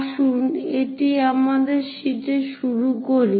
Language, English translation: Bengali, Let us begin it on our sheet